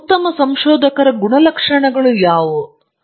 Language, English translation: Kannada, So, now what are the characteristics of a good researcher